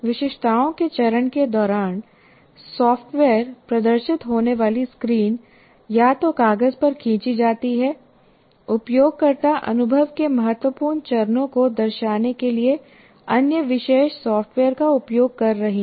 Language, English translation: Hindi, During the specifications, screens that the software will display are drawn, either on paper or using other specialized software to illustrate the important steps of the user experience